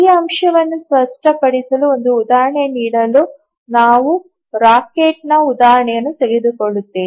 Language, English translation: Kannada, Just to give an example, to make this point clear, we will take the example of a rocket